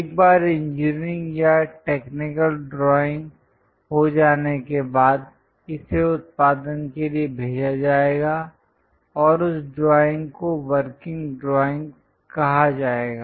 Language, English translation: Hindi, Once engineering or technical drawing is done, it will be sent it to production and that drawing will be called working drawings